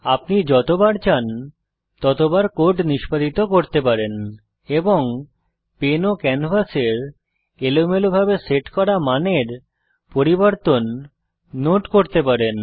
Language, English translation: Bengali, You can execute the code how many ever times you want and note the changes in the randomly set values of the pen and canvas